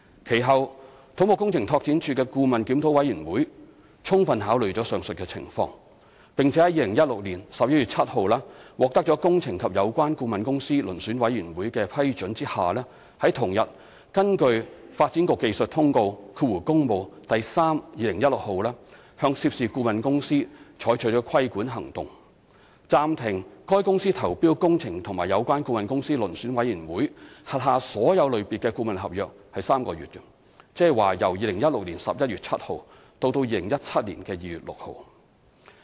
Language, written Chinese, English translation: Cantonese, 其後，土木工程拓展署的顧問檢討委員會充分考慮上述情況，並在2016年11月7日獲得"工程及有關顧問公司遴選委員會"的批准下，於同日根據《發展局技術通告第 3/2016 號》向涉事顧問公司採取規管行動，暫停該公司投標"工程及有關顧問公司遴選委員會"轄下所有類別的顧問合約3個月，即由2016年11月7日至2017年2月6日。, After adequately considering the above situation and obtaining the approval from the Engineering and Associated Consultants Selection Board on 7 November 2016 the Consultants Review Committee of CEDD invoked suspension on the consultant involved on the same day from bidding for all categories of consultancy agreements under the jurisdiction of the Engineering and Associated Consultants Selection Board for three months ie . from 7 November 2016 to 6 February 2017 as regulating action in accordance with the Development Bureau Technical Circular Works No . 32016